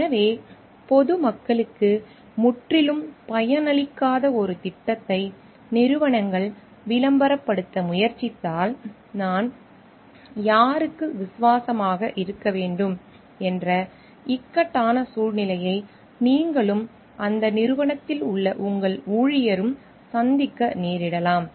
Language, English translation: Tamil, So, it may so happen like if the organizations is trying to promote a project which may not be totally beneficial to the public at large, then you may and your employee of that organization you may face a dilemma of I should be loyal to whom